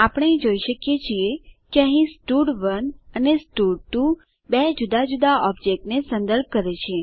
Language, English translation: Gujarati, We can see that here stud1 and stud2 refers to two different objects